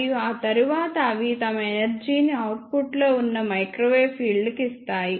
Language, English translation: Telugu, And after that they give their energy to the microwave field present in the output structure